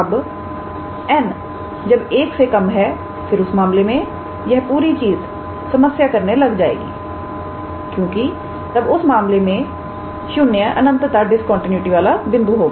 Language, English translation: Hindi, Now, when n is less than 1 then in that case this whole thing will start creating problem because then in that case 0 will be the point of infinite discontinuity